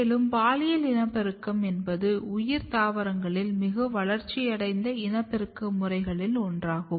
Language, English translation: Tamil, And sexual reproduction is one of the highly evolved mode of propagation in case of higher plants